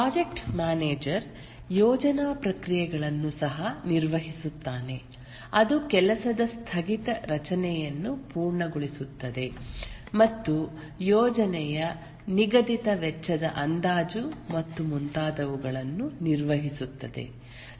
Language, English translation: Kannada, The project manager also carries out the planning processes that is completes the work breakdown structure and performs the project schedule, cost estimation and so on